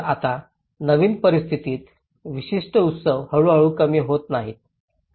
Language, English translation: Marathi, So, now in the new situation, not particular celebrations have gradually diminished